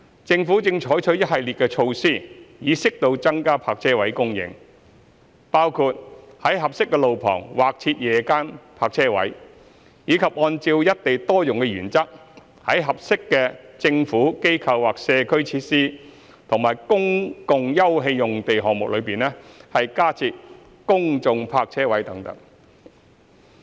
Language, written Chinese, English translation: Cantonese, 政府正採取一系列措施，以適度增加泊車位供應，包括在合適的路旁劃設夜間泊車位，以及按照"一地多用"的原則在合適的"政府、機構或社區"設施和公共休憩用地項目中加設公眾泊車位等。, The Government is pursuing a host of measures to increase car parking spaces as appropriate which include designating suitable on - street locations as night - time parking spaces and following the principle of single site multiple uses to provide public car parking spaces in suitable Government Institution or Community facilities public open space projects and public housing developments and so on